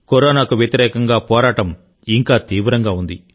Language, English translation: Telugu, The fight against Corona is still equally serious